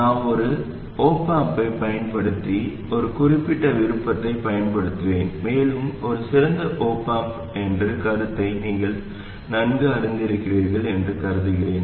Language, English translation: Tamil, But I will use one particular option using an op amp and I assume that you are familiar with the concept of the ideal op amp